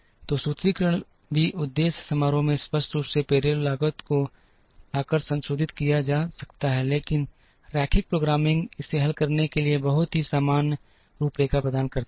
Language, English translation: Hindi, So, the formulation can also be modified by bring the payroll cost explicitly into the objective function, but linear programming provides just with a very generic framework to solve this